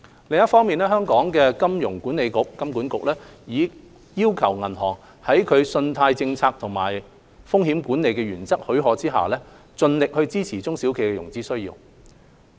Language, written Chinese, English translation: Cantonese, 另一方面，香港金融管理局已要求銀行在其信貸政策和風險管理原則許可下，盡力支持中小企的融資需要。, On the other hand the Hong Kong Monetary Authority HKMA has requested banks to provide funding support to SMEs as far as their credit policies and risk management principles allow